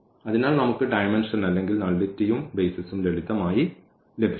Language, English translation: Malayalam, So, we can just get the dimension or the nullity and also the basis simply